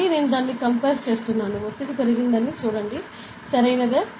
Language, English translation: Telugu, Again I am compassing it, see the pressure has increased, correct